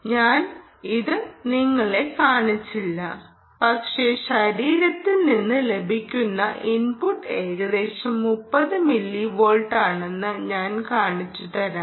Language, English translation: Malayalam, ah, i didn't show you that, but i will show you very soon ah, that the input, what i ah, which i get from the body, is roughly thirty millivolts